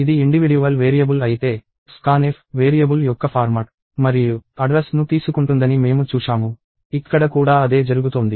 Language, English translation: Telugu, If it is an individual variable, we saw that scanf takes the format and the address of a variable; the same thing is happening here